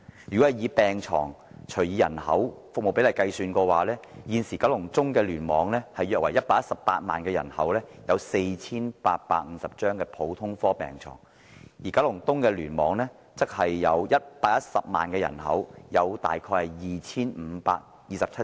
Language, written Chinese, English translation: Cantonese, 就地區人口對病床的比例來說，現時九龍中聯網約有118萬人口，普通科病床數量為 4,850 張；九龍東聯網則有110萬人口，普通科病床數量為 2,527 張。, Insofar as the ratio between the district population and hospital beds is concerned KCC currently has a population of 1.18 million and 4 850 beds for general care; whereas KEC has a population of 1.10 million and 2 527 beds for general care